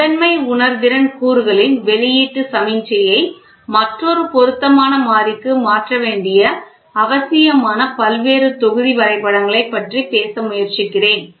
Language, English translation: Tamil, I am trying to talk about various block diagrams it may be necessary to convert the outputs signal of the primary sensing elements to another more suitable variable